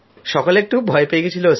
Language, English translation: Bengali, All this was a bit scary